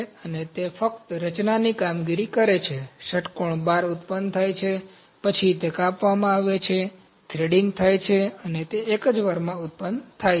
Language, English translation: Gujarati, And it just does forming operation first, the hexagonal bar is produced, then that is cut, threading happens, and that is produced in one go